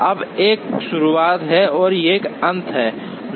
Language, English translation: Hindi, Now, there is a start and there is a finish